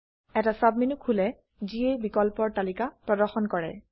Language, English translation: Assamese, A submenu opens, displaying a list of options